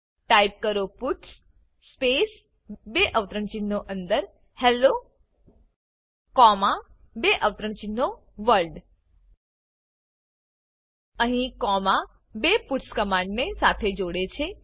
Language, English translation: Gujarati, Type puts space within double quotes Hello comma within double quotes World Here comma is used to join the two puts command together